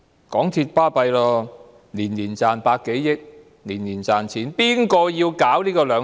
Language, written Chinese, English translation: Cantonese, 港鐵很厲害，每年賺百多億元，而且年年賺錢。, MTRCL is very awesome as it earns over 10 billion annually and makes profits every year